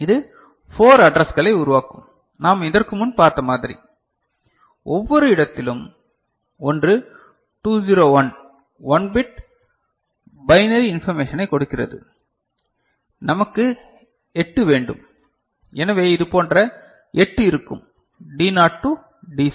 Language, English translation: Tamil, So, it will be generating 4 addresses the way we had seen before and in each location, one 201 provides 1 bit of you know binary information and we want 8, so 8 such will be there D naught to D7